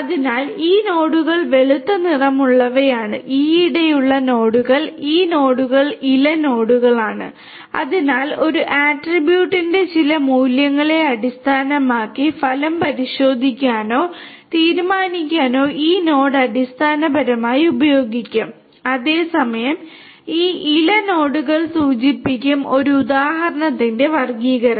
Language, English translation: Malayalam, So, these nodes the white colored ones are the recent nodes and these nodes are the leaf nodes and so, this is a node basically will be used to test or decide the outcome based on some value of an attribute, whereas these leaf nodes will denote the classification of an example, right